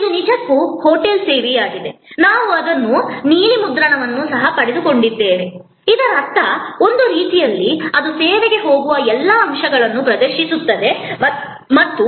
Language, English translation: Kannada, This is actually a hotel service, we also got it service blue print in; that means, in a way it exhibits all the elements that go in to the service and it also as you can see here, that this line of interaction is provided